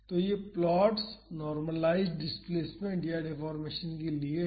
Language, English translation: Hindi, So, these plots are for normalized displacement or deformation